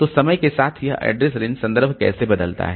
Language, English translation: Hindi, So, how this address range reference changes over time